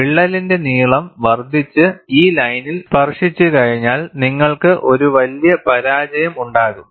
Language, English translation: Malayalam, Once the crack length increases and touches this line, you will have a catastrophic failure